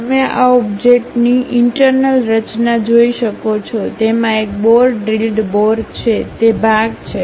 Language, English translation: Gujarati, You can see the internal structure of this object, it is having a bore, drilled bore, having that portion